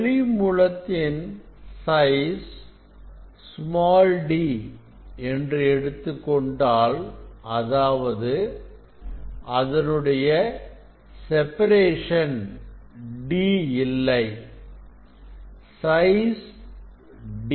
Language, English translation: Tamil, Now, if source size is d it is not source separation; size is d